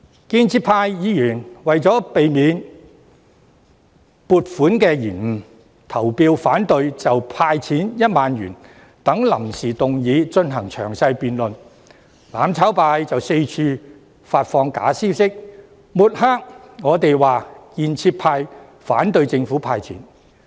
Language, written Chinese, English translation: Cantonese, 建制派議員為免撥款受到延誤，於是投票反對就"派錢 "1 萬元等臨時議案進行詳細辯論，但"攬炒派"卻到處發放假消息，抹黑建制派反對政府"派錢"。, In order to prevent any delay in the allocation of funds pro - establishment Members voted against various motions moved without notice including the one concerning the handout of 10,000 . However the mutual destruction camp subsequently spread the fake information to smear pro - establishment Members claiming that they opposed the handout of cash by the Government